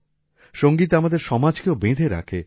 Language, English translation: Bengali, Music also connects our society